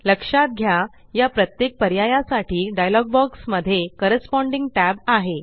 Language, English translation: Marathi, Notice that there is a corresponding tab in the dialog box for each of these options